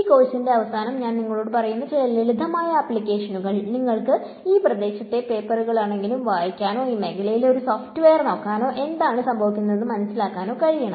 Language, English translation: Malayalam, So, some simple applications I will tell you about at the end of this course you should be able to at least read the papers in this area or look at a software in this area and understand what is happening